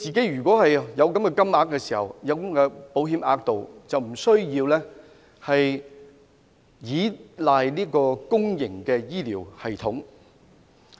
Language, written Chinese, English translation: Cantonese, 如果他可以使用保險額度，便無須依賴公營醫療系統。, If he can make use of his insurance coverage there will be no need to rely on the public health care system